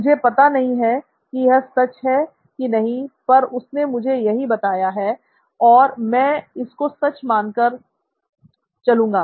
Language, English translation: Hindi, I wonder if that is the truth but that’s what he told me, so I will take it at face value